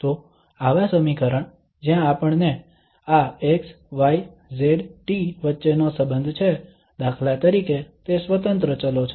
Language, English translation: Gujarati, So such an equation where we have a relation between this x, y, z, t, for instance, these are the independent variables